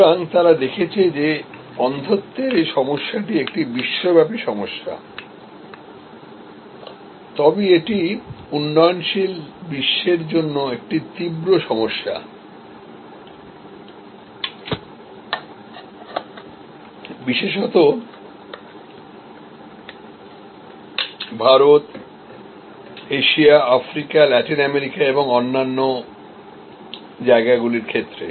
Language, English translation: Bengali, So, they looked at that this problem of blindness is a global problem, but it is particularly an acute problem for the developing world, for countries like India, other parts of Asia, Africa, Latin America and so on